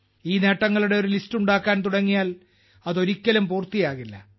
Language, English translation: Malayalam, If we start making a list of these achievements, it can never be completed